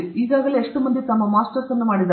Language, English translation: Kannada, How many people have already done their Masters